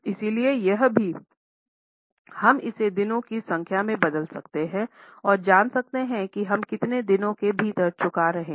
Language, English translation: Hindi, So, here also we can convert it into number of days and know within how many days we are repaying